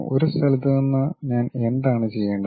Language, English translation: Malayalam, From one location what I have to do